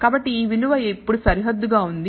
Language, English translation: Telugu, So, this value is now bounded